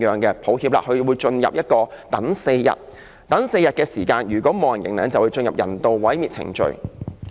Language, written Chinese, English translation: Cantonese, 這些動物在4天等待期沒有人認領，便會進入人道毀滅程序。, If these animals are not claimed after four days of waiting period they will progress to the euthanasia procedure